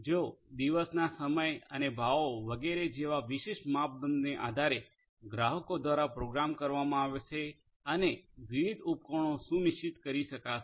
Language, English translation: Gujarati, They will be programmed by the consumers depending on the specific criteria such as the time of the day and the pricing etcetera etcetera different different appliances could be scheduled